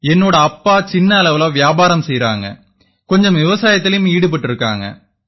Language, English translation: Tamil, Yes my father runs a small business and after thateveryone does some farming